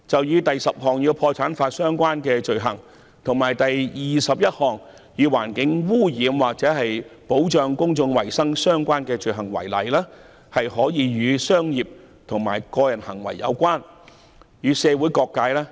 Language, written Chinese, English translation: Cantonese, 以第10項"破產法所訂的罪行"，以及第21項"與環境污染或保障公眾衞生有關的法律所訂的罪行"為例，這些罪行可以與商業及個人行為有關，亦可以與社會各界有關。, For example the 10 item on offences against bankruptcy law and the 21 item on offences against the law relating to environmental pollution or protection of public health are offences that may be related to commercial and individual behaviours and they may also be related to various sectors of the community